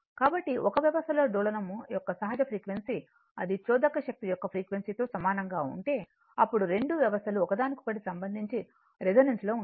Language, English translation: Telugu, So, whenever the nat if the natural frequency of the oscillation of a system right if it coincide with the frequency of the driving force right then the 2 system resonance with respect to each other